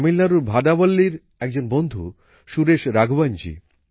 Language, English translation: Bengali, Suresh Raghavan ji is a friend from Vadavalli in Tamil Nadu